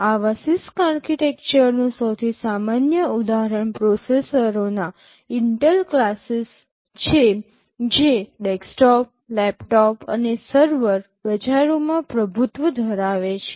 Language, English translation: Gujarati, The most common example of such CISC architecture are the Intel classes of processors which dominate the desktop, laptop and server markets